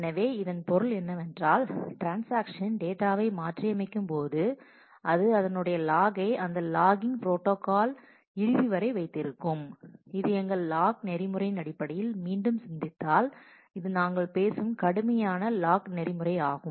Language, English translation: Tamil, So, which means that kind of when the transaction modifies the item it holds a lock and that lock is held till the end of the transaction and this is a I mean if we if we think back in terms of our locking protocol, this is a strict locking protocol that we are talking of